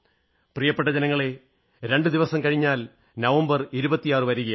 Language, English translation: Malayalam, My dear countrymen, the 26th of November is just two days away